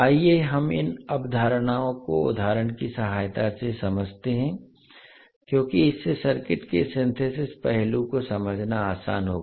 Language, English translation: Hindi, So let us understand these concepts with the help of examples because that would be easier to understand the Synthesis aspect of the circuit